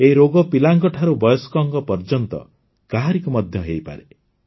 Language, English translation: Odia, This disease can happen to anyone from children to elders